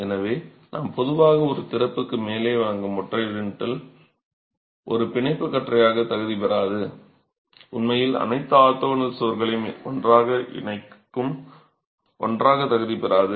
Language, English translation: Tamil, So a single lintel which we typically provide above an opening will not qualify as a bond beam, will not qualify as something that is actually connecting all the orthogonal walls together